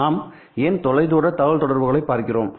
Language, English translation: Tamil, Why are we looking at long distance communications